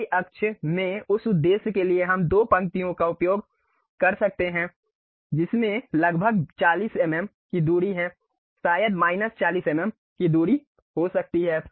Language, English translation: Hindi, For that purpose in the Y axis we can use two rows with a distance gap of some 40 mm maybe in minus 40 mm